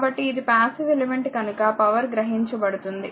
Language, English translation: Telugu, So, because it is a passive element it will absorbed power